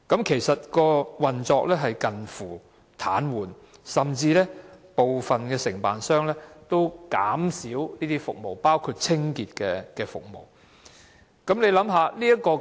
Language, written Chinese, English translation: Cantonese, 其實，新法團的運作已近乎癱瘓，部分承辦商甚至減少提供服務，包括清潔服務。, Actually the operation of the new OC was almost paralysed and certain contractors had reduced the scale of service provision including cleaning services